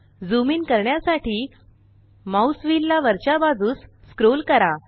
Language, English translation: Marathi, Scroll the mouse wheel upwards to zoom in